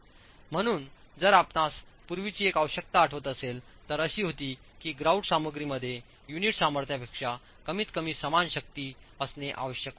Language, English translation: Marathi, So, if you remember one of the earlier requirements was that the grout material must have a strength at least equal to the unit strength